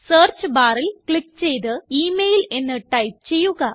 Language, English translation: Malayalam, Click on the search bar and type email